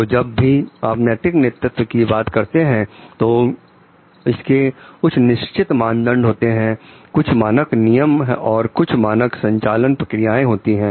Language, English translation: Hindi, So, whenever you are talking of ethical leadership it talks of having certain norms, standard rules, standard operating processes